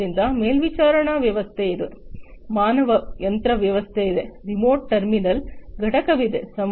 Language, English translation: Kannada, So, there is a supervisory system, there is a human machine system, there is a remote terminal unit component